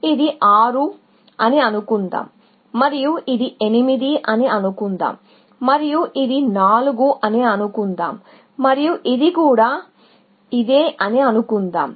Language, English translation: Telugu, So, let us say, this is 6 and let us say, this is 8 and let us say, this is 4 and let us say, this is also, 4